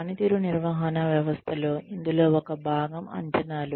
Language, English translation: Telugu, In a performance management system, one part of this is appraisals